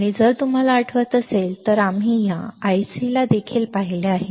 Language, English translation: Marathi, And if you remember we have seen this IC earlier also right